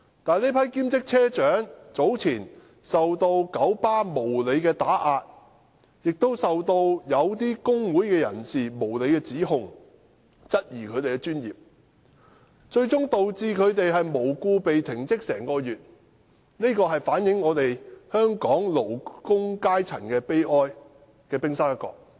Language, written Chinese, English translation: Cantonese, 但這批兼職車長早前遭九巴無理打壓，並受到某些工會人士無理指控，質疑他們的專業精神，最終導致他們無故被停職1個月，這反映香港勞工階層的悲哀，而這只是冰山一角。, However earlier on these part - time bus captains were unreasonably oppressed by KMB and subjected to unfounded accusations by certain members of trade unions who questioned their professionalism eventually causing them to be suspended from duty for a month without reasons . This reflects the misery of the working class in Hong Kong and it is only the tip of the iceberg